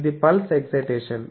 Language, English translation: Telugu, It is a pulse excitation